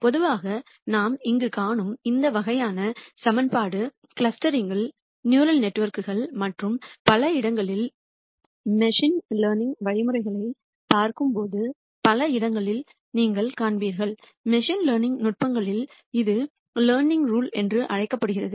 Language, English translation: Tamil, In general this kind of equation that we see here you will see in many places as we look at machine learning algorithms in clustering, in neural networks and many other places, in machine learning techniques this is called the learning rule